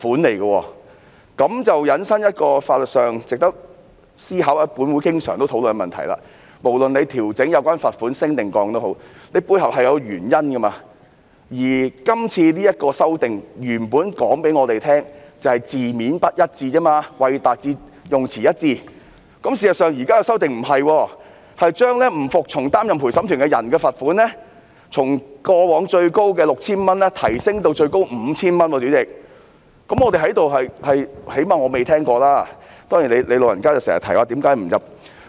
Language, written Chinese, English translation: Cantonese, 這便引申出法律上值得思考或本會經常討論的問題，無論有關罰款調整是增加或減少，背後是有原因的，而當局原本告訴我們，今次修訂只是"為達致用詞一致"，但事實上，現在的修訂不是，將不服從擔任陪審員的罰款從過往最高的 3,000 元提升至最高 5,000 元，最少我在這裏是不曾聽聞的。, This has created a legal issue worth considering or has often been discussed in this Council that is any upward or downward adjustment in the amount of fine must be supported with justifications . The authorities have initially told us that the amendment is to achieve consistency only but this is not the case with this amendment as the penalty for refusing to serve as a juror has been increased from a maximum of 3,000 to a maximum of 5,000 . I at least have not heard of the increase before